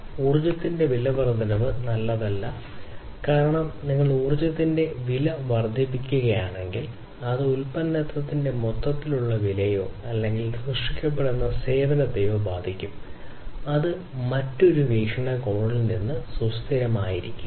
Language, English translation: Malayalam, So, increasing the price of energy is not good because if you are increasing the price of energy then that will affect the overall price of the product or the service that is being created and that is not going to be sustainable over all from another perspective